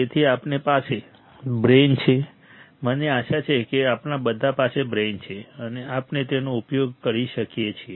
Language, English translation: Gujarati, So, we have a brain right [Laughter]; all of us have a brain, I hope [Laughter]; and we use it, we use it